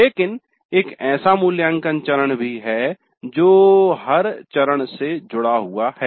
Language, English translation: Hindi, But there is also an evaluate which is connected to every phase